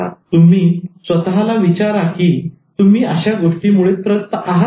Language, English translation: Marathi, Now, ask whether you suffer from these things